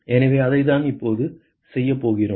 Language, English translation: Tamil, So, that is what we are going to do now